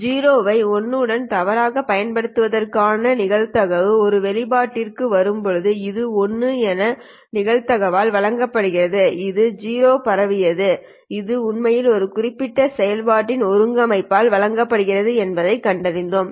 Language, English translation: Tamil, While arriving at an expression for the probability of mistaking a 0 with a 1, which is given by this probability of 1, given that 0 was transmitted, we found that this actually is given by this integral of this particular function